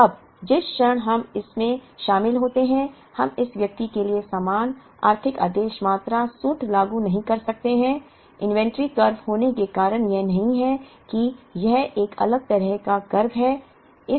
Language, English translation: Hindi, Now, the moment we get into this we cannot apply the same economic order quantity formula for this person; the reason being the inventory curve is not the Sawtooth curve it is a different kind of a curve